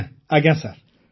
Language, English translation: Odia, Yes… Yes Sir